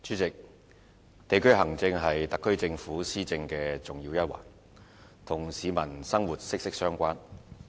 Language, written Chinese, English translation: Cantonese, 代理主席，地區行政是特區政府施政的重要一環，與市民的生活息息相關。, Deputy President district administration is an integral part of the administration of the SAR Government which is closely related to peoples living